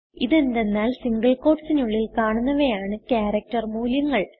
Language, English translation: Malayalam, This is because anything within the single quotes is considered as a character value